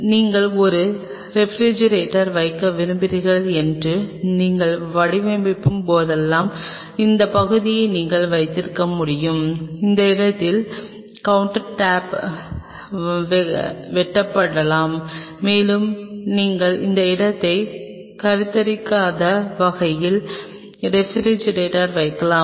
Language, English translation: Tamil, And whenever you design that you want to place a refrigerator you can have this part the countertop may be cut at that point and you can place the refrigerator in such a way that you are not conceiving that space